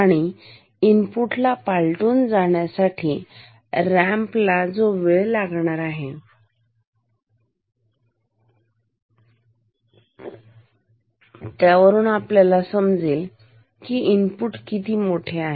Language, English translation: Marathi, And, this time required for the ramp to cross the input tells us how large the input is